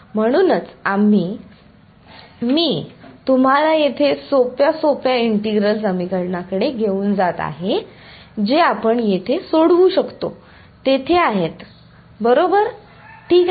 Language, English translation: Marathi, So, that is why we are, I am making taking you to the simplest integral equation that we can solve over here there are right ok